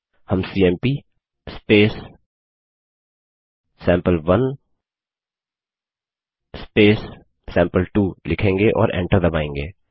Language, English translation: Hindi, We will write cmp space sample1 space sample2 and press enter